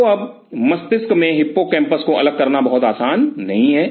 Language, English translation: Hindi, So, now in the brain isolating hippocampus is not something very easy